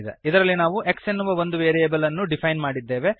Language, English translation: Kannada, In this we have defined a variable x